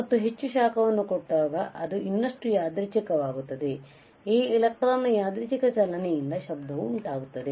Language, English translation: Kannada, And if I apply more heat then it becomes even more random, so this random motion of the electron or the charges or cause would cause a noise ok